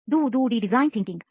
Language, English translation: Kannada, Duh duh de Design Thinking